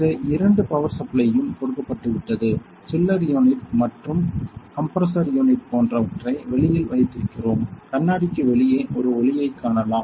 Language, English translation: Tamil, So, for both these power supplies have been given and we have kept the chiller unit and the compressor unit outside; you can see a light outside the glass there